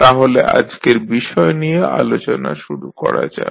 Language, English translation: Bengali, So, let us start the discussion of today’s lecture